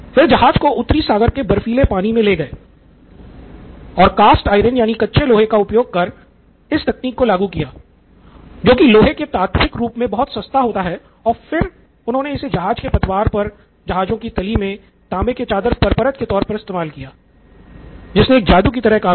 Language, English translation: Hindi, He took it to the icy waters of North Sea and applied this technique of using cast iron which is very cheap, much cheaper than the elemental form of iron and attached it to the hulls of the ship, the copper sheet of the ships and it worked like a charm